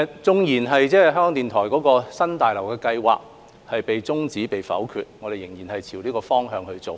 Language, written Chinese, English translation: Cantonese, 即使港台的新大樓計劃被否決，我們仍朝着這方向去做。, Even if the proposal concerning the New BH of RTHK had been vetoed we are still doing our work in this direction